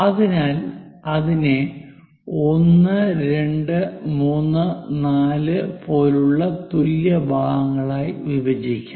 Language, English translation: Malayalam, So, let us divide that into equal parts, perhaps 1, 2 3, 4